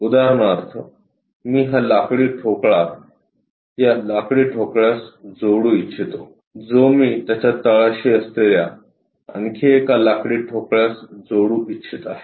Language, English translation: Marathi, For example, I would like to connect this wooden block with this is the wooden block, which I would like to really connect it with bottom side one more wooden block